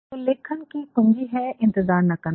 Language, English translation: Hindi, The key to writing is not to wait